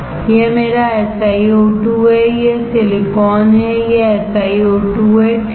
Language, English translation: Hindi, This is my SiO2, this is silicon, this is SiO2, right